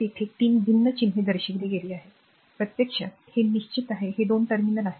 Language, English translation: Marathi, So, there are 3 different symbols are shown, this is actually this is fixed type this is 2 terminals are there